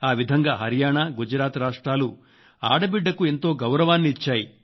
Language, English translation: Telugu, Haryana and Gujarat gave importance to the girls, provided special importance to the educated girls